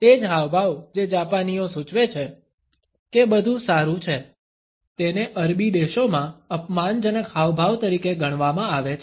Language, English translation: Gujarati, The same gesture which the Japanese used to indicate that everything is good can be treated as an insulting gesture in Arabian countries